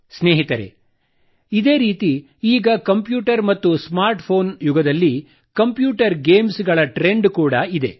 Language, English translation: Kannada, Friends, similarly in this era of computers and smartphones, there is a big trend of computer games